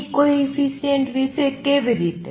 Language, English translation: Gujarati, How about B coefficient